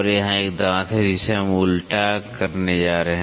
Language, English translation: Hindi, So, here is a tooth which we are going to generate the involute